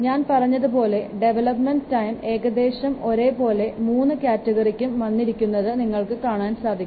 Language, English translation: Malayalam, For example, you see the development time is roughly the same for all the three categories of products I have already told you